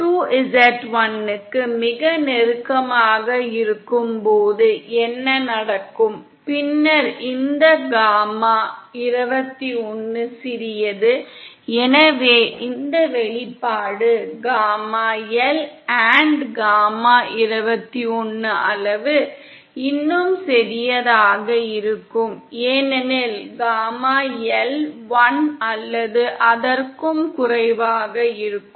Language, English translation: Tamil, What happens is when z2 is very close to z1 then this gamma21 is small & so this expression, gamma L & gamma21 magnitude, will be even smaller because gamma L is either 1 or lesser than